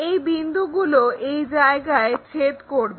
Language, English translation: Bengali, These points intersect at this level